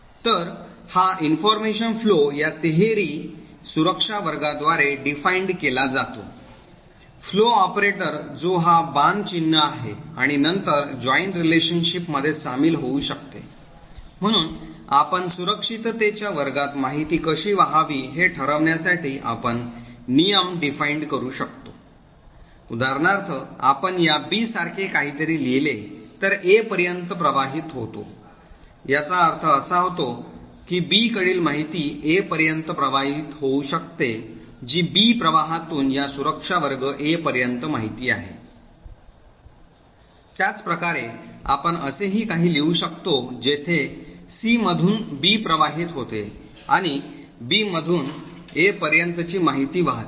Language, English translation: Marathi, So this information flow is defined by this triple security class, flow operator which is this arrow sign and then join relationship, so we can actually define rules to decide how information should flow across the security classes, for example if we write something like this B flows to A, it would mean that information from B can flow to A that is information from B flow to this security class A, similarly we could also write something like this where information from C flows to B and information from B flows to A